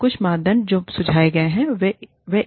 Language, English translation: Hindi, And, some criteria, that have been suggested are, one